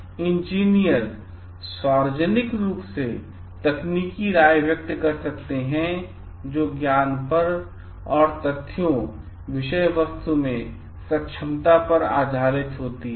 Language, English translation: Hindi, So, engineers may express publicly technical opinions that are founded on the knowledge of facts and competence in the subject matter